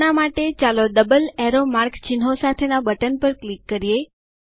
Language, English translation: Gujarati, For now, let us click on the button with double arrow mark symbols